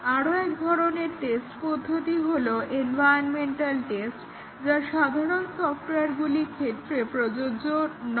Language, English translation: Bengali, One more type of testing, which is environmental test; which is not applicable to general software